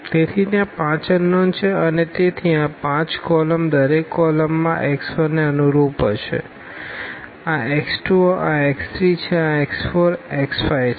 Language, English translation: Gujarati, So, there are 5 unknowns and therefore, these 5 columns each column this will correspond to x 1, this is x 2, this is x 3, this is x 4, this is x 5